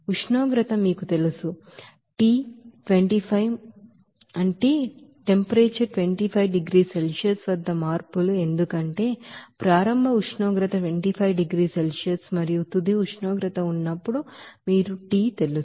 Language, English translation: Telugu, And temperature is you know changes T 25 because the initial temperature was 25 degree Celsius and when final temperature is you know that T